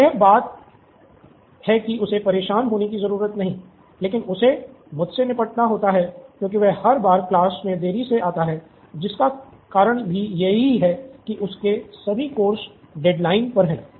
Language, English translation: Hindi, So, that’s one thing that he does not have to worry but he has to deal with me because he comes late to class every time, because all these course deadline piling on his neck